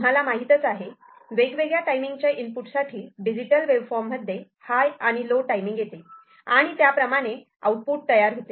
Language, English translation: Marathi, So, different kind of you know timing input combinations of the digital waveform high and low will come, and accordingly output will be generated